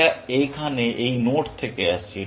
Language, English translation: Bengali, It is coming from this node here